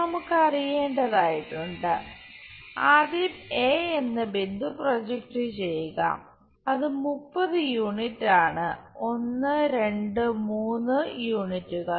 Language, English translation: Malayalam, We have to know first project point a, somewhere a which is 30 units 1 2 3 units